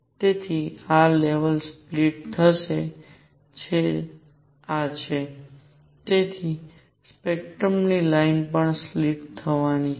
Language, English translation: Gujarati, So, these levels are going to split and therefore, the lines in the spectrum are also going to split